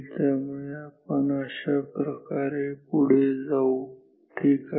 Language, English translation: Marathi, So, we will move like this ok